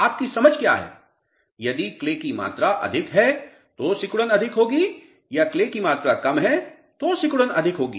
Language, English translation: Hindi, What is your understanding if clay content is more, shrinkage will be more or clay is less shrinkage will be more